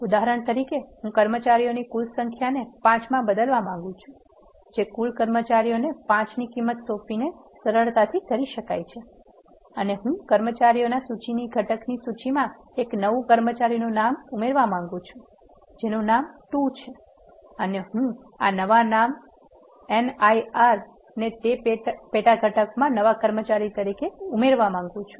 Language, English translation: Gujarati, For example, I want to change the total number of staff into 5, that can be done easily by assigning a value 5 to the total staff and I want to add a new employee name to the list the component of the list which has the employee names is 2 and I want to add this new name Nir as a new employee to that sub component